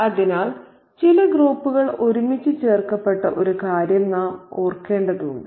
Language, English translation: Malayalam, So, we need to remember one thing that certain groups are clubbed together